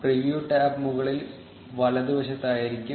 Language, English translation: Malayalam, The preview tab will be on the top right